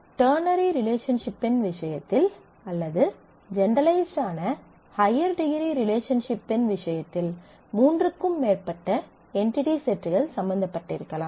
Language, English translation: Tamil, Now, in the case of ternary relationship or this would generalize to relationships of higher degree whether where more than three entity sets may be involved